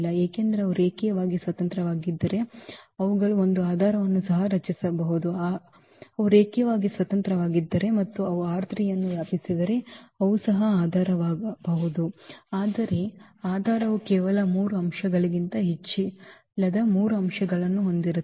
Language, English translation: Kannada, Because, if they are linearly independent then they can form a basis also, if they are linearly independent and they span the R 3 then they can be also basis, but basis will have only 3 elements not more than 3 elements